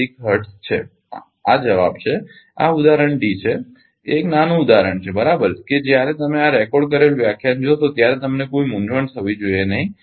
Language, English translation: Gujarati, 0196 hertz this is the answer this is example D a small example right such that you will have no confusion when we will go through this ah recorded lecture throughout right